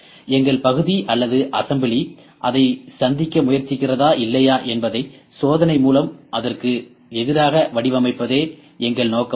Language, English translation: Tamil, What is our intent for design against that with test whether our part or assembly is trying to meet that or not